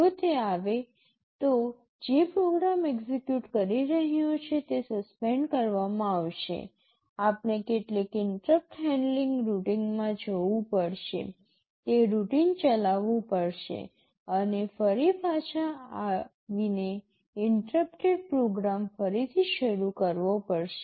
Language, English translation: Gujarati, If it comes, the program that is executing will be suspended, we will have to go to some interrupt handling routine, run that routine and then again come back and resume the interrupted program